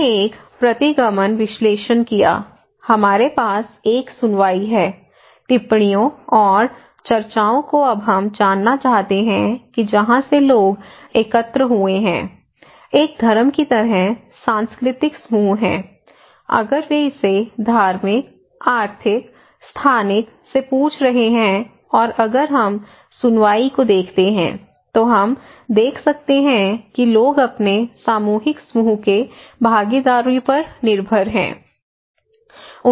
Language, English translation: Hindi, So, now look and we conducted a regression analysis so, we have three one, one is the hearing, observations and discussions okay, now we want to know that from where people collected, one is cultural group like religion, if they have asking it from religious, economic, spatial, social okay and if we see the hearing, we can see that people depends on their cohesive group partners that it means their friends